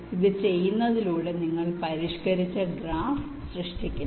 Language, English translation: Malayalam, so by doing this you create modified graph here